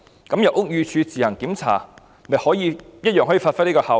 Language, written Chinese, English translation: Cantonese, 那麼由屋宇署自行檢查，同樣可以發揮這個效果。, In this way the same effect can be attained if BD takes up the inspection work itself